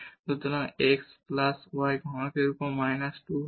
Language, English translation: Bengali, So, this will be minus 2 over x plus y cube